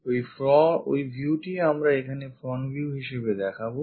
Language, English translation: Bengali, So, that view we will show it here as front view